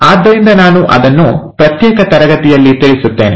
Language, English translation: Kannada, So I’ll cover that in a separate class